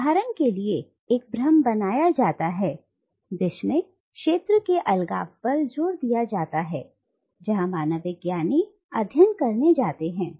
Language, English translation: Hindi, And the illusion is created there for instance by stressing on the isolation of the field which the anthropologist goes to study